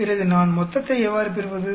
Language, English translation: Tamil, Then, how do I get total